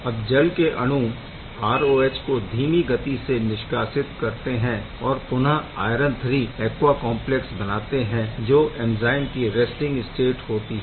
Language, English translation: Hindi, Now this water molecule displaces the ROH to slowly, but steadily form this iron III aqua complex which is nothing, but the resting state of the enzyme